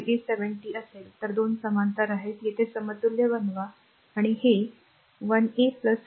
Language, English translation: Marathi, 703 these 2 are in parallel, make there equivalent and this is 13 plus 4